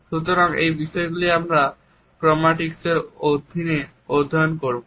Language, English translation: Bengali, So, these aspects we would study under chromatics